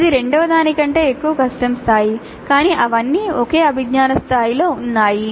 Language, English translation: Telugu, So it gives higher difficulty level while retaining the same cognitive level